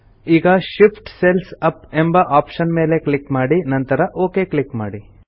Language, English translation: Kannada, Now click on the Shift cells up option and then click on the OK button